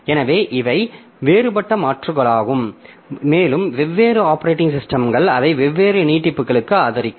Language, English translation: Tamil, So, these are the different alternatives we have and again different operating systems will support it to different extends